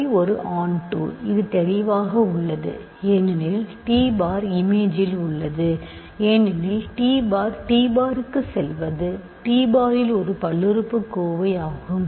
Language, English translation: Tamil, So, this an exercise, phi is onto, this is clear because t bar is in image because t goes to t bar anything here is a polynomial in t bar